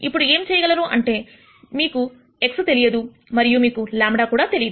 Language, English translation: Telugu, Now what you could do is; you do not know x and you do not know lambda also